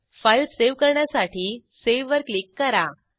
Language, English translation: Marathi, Now, click on Save to save the file